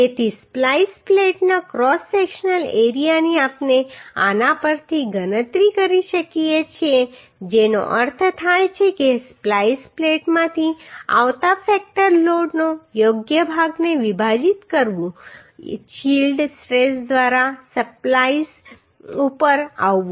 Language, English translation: Gujarati, So the cross sectional area of the splice plate we can calculate from this that means dividing the appropriate portion of the factor load coming from the splice plate Coming over the splice by the yield stress right